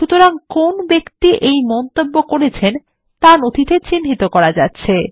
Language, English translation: Bengali, Thus the person making the comment is identified in the document